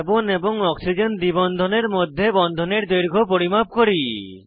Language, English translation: Bengali, Lets measure the bond length between carbon and oxygen double bond